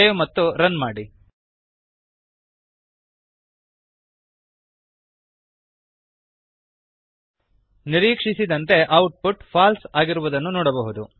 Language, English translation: Kannada, Save and run We can see that the output is False as expected